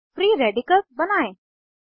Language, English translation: Hindi, Now lets create the free radicals